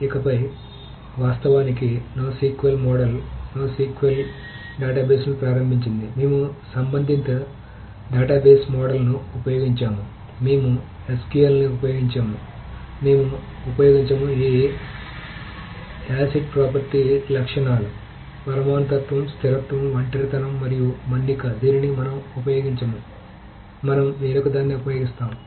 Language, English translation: Telugu, However, it is no more a not SQL any further because the, so the originally the no SQL model started, the no SQL database is started by saying that we will not use relational database model, we will not use SQL, we will not use the properties of this acid properties, the atomicity, consistency, the isolation and durability, this we will not use, we will use something different